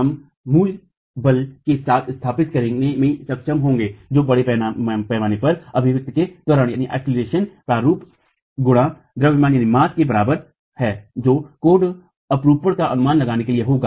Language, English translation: Hindi, We will be able to establish with the basic forces equal to mass into acceleration format of expressions that the code would have for estimating base share